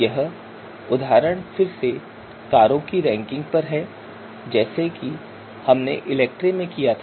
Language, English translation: Hindi, So this example is again on ranking of car just like we did in ELECTRE